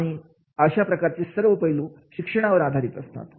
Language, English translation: Marathi, All these aspects they are supported by the education is there